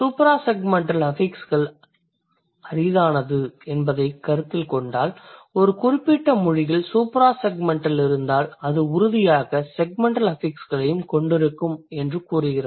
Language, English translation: Tamil, Considering suprase segmental affixes are rare, it doesn't like, it says that if a particular language has a suprasegmental affixes, it will surely have segmental affixes too, right